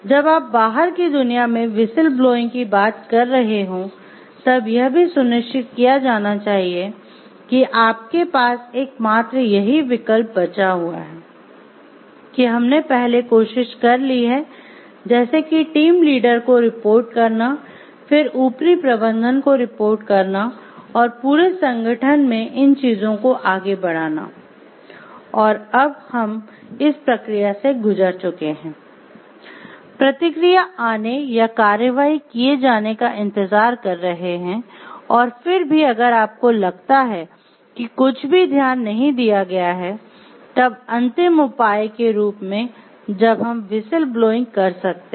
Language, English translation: Hindi, And it should be made sure like whistle blowing that to when you are talking of whistle blowing to the outside world is the only option which is left with you and we have already tried through like reporting it to our may be team lead, then reporting it to the higher ups and moving these things up throughout organization and we have gone through this processes, waited for the feedback to come or actions to be taken and still if you find nothing has been taken care of, then as a last resort when maybe we can go for whistle blowing